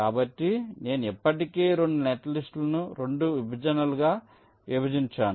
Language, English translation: Telugu, so i have already divided two netlist into two partitions